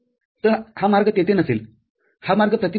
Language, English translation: Marathi, So, this path will not be there this path is block